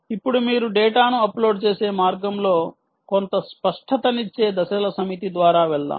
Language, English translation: Telugu, ok, now lets go through a set of steps which will give some clarity on the ah way by which you can upload data